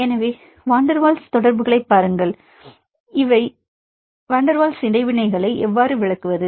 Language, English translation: Tamil, So, now see the van der Waals interactions; so how to explain van der Waals interactions